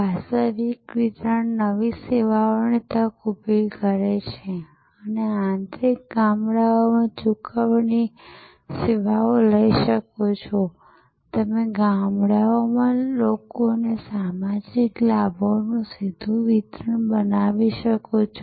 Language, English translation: Gujarati, The virtual delivery can create new service opportunities, you can take payment services to interior villages, you can create direct delivery of social benefits to people in villages